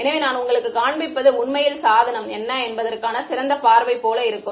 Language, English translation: Tamil, So, I mean what I am showing you is actually a top view of what the device will look like